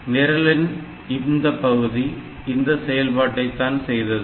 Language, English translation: Tamil, So, this part of the program is doing that